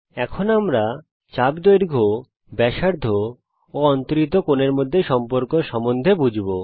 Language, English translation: Bengali, Now we will understand the relation between arc length, radius and the angle subtended